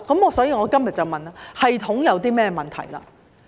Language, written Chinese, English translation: Cantonese, 因此，我今天便要問，系統有甚麼問題？, Therefore I have to ask today What is wrong with the system?